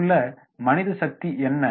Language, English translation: Tamil, What is the man power there